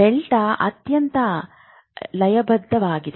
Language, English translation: Kannada, Delta is the most rhythmic